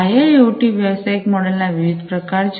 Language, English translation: Gujarati, So, there are different types of IIoT business models